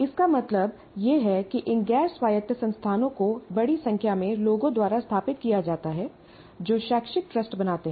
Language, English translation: Hindi, What it means is these non autonomous institutions are set by a large variety of people who create educational trusts